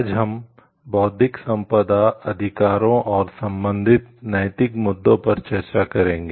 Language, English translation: Hindi, Today we will be discussing about Intellectual Property Rights and Ethical issues related to it